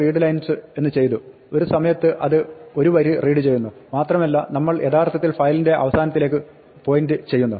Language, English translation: Malayalam, So, the first time we did f dot readlines, it read one line at a time and now we are actually pointing to the end of the file